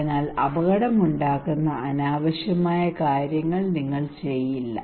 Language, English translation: Malayalam, So you would not do unnecessary unwanted things that cause dangerous